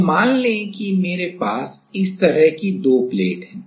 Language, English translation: Hindi, So, let us say I have 2 plates like this